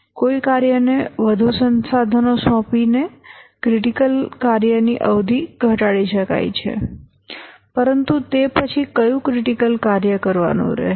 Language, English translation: Gujarati, By assigning more resources to a task, the duration of the critical task can be reduced